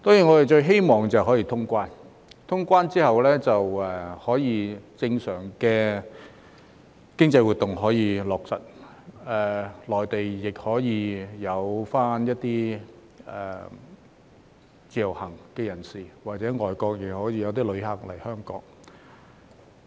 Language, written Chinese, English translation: Cantonese, 我們最希望是可以通關，因為通關後便可恢復正常的經濟活動，而內地的一些自由行人士或外國旅客亦可以來港。, What we want most badly is reopening borders because after that normal economic activities can resume and Mainland visitors under the Individual Visit Scheme or foreign visitors may travel to Hong Kong